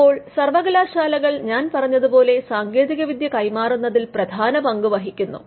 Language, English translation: Malayalam, Now, universities also as I said where instrumental in transferring technology